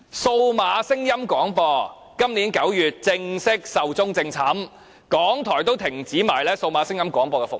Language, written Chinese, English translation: Cantonese, 數碼聲音廣播今年9月正式壽終正寢，香港電台也停止了數碼聲音廣播服務。, Digital audio broadcasting was formally switched off in September this year when Radio Television Hong Kong RTHK also stopped its digital audio broadcasting services